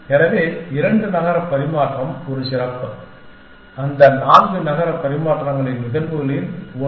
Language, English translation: Tamil, So, two city exchange is just a special, one of the cases of those four city exchange